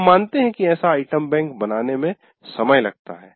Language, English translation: Hindi, We agree that creating such a item bank is, takes time